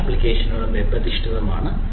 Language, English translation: Malayalam, right, most of the applications are web based